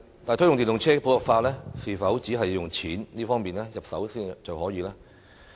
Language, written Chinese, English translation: Cantonese, 但是，推動電動車普及化是否只從金錢方面入手就可以做到？, However is money the only incentive to promote the popularization of EVs?